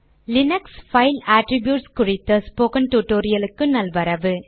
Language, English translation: Tamil, Welcome to this spoken tutorial on Linux File Attributes